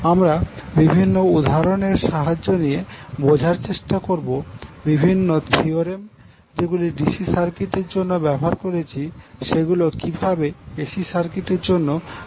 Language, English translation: Bengali, So what we will do, we will take the help of various examples to understand how the various theorems which we use in case of DC circuit can be utilized in AC circuit as well